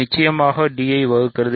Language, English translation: Tamil, So, definitely d divides b